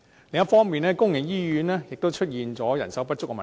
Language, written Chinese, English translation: Cantonese, 另一方面，公營醫院亦面對人手不足的問題。, On the other hand public hospitals face the problem of manpower shortage